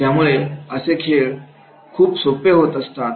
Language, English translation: Marathi, So this game was very easy